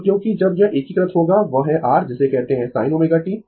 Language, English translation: Hindi, So, because when you will integrate this that is your what you call sin omega t